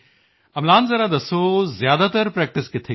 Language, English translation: Punjabi, Amlan just tell me where did you practice mostly